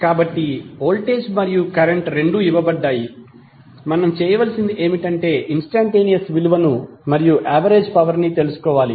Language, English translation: Telugu, So voltage v and current both are given what we have to do we have to find out the value of instantaneous as well as average power